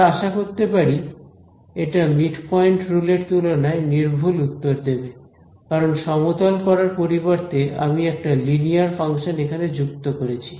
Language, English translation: Bengali, Obviously, we expect this to be more accurate than the midpoint rule ok, because instead of a flatting I am fitting a linear function over here ok